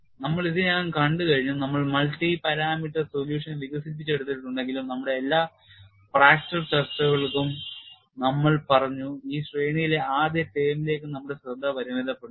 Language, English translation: Malayalam, We have already seen, though we have developed the multi parameter solution, we set for all our fracture discussion; we would confine our attention to the first term in the series